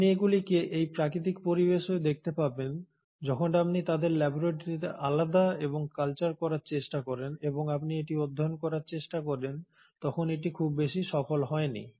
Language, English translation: Bengali, And you find that although you see them in these natural environments, when you try to isolate and culture them in the lab and you try to then study it, it has not been very successful